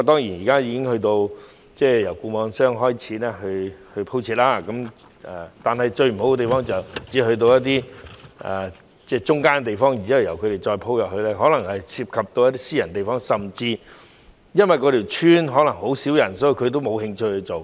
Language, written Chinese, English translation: Cantonese, 現時由固網商開始鋪設網絡設施，最大的缺點是只可鋪設到例如村口的地方，如果要再鋪設得更深入，可能涉及一些私人地方，而甚至因為某些鄉村只有很少人口，固網商沒興趣去做。, The biggest shortcoming of the present approach of laying fibre - based networks by FNOs is that the networks can only be extended to for example the entrances of villages . If the networks are further extended some private land may be involved . And since certain villages are scarcely populated FNOs may not even be interested to extend the networks